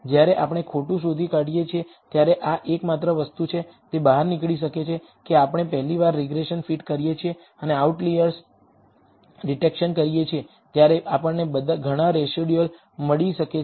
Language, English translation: Gujarati, The only thing when we do out lie detection is this, it may turn out that we do that first time we fit a regression, and do an outlier detection we may find several residuals